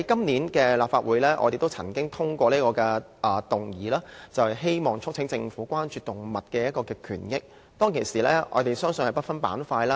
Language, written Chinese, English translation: Cantonese, 上個立法會年度，我們通過議員議案，促請政府關注動物權益，並制定動物保護法。, In the last Legislative Council session we passed a Members motion to urge the Government to pay attention to animals rights and enact legislation on animal protection